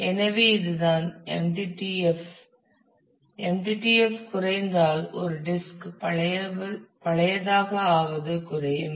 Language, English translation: Tamil, So, MTTF certainly decrease it will it will decrease as a disk becomes old